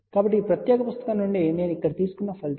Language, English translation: Telugu, So, these results I have taken from this particular book here ah